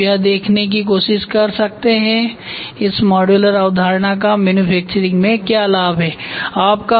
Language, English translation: Hindi, Then you can try to see how this modularity concept benefits in manufacturing